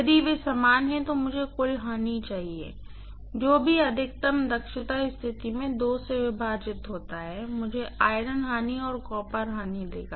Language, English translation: Hindi, If they are equal I should have the total loses whatever occurs at maximum efficiency condition divided by 2 will give me the actual losses of iron and copper